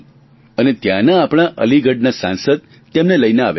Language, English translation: Gujarati, Student from Aligarh had come to meet me